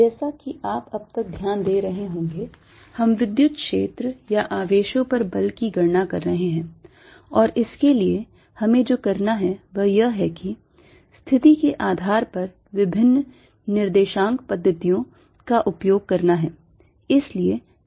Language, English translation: Hindi, as you notice, so far we've been dealing with the calculating electric field or force on charges, and for this what we need to do is use different coordinate systems depending on the situation